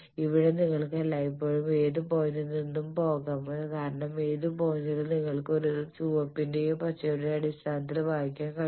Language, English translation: Malayalam, Here, you can always go any point from because any point you can read it in terms of the red ones or green ones